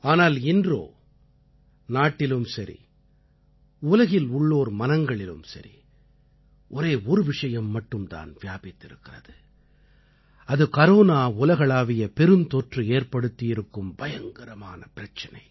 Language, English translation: Tamil, But today, the foremost concern in everyone's mind in the country and all over the world is the catastrophic Corona Global Pandemic